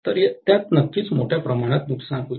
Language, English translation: Marathi, So, it would definitely entail a huge amount of loss, right